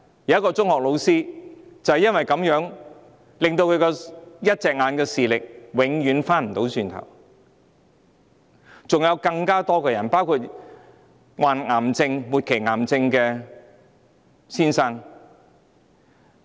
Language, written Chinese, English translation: Cantonese, 有一名中學老師的右眼因而永久失去正常視力，還有很多人受傷，例如患上末期癌症的一位先生。, As a result a secondary school teacher lost his normal vision in his right eye permanently and many other people for example a man suffering from terminal cancer also suffered injuries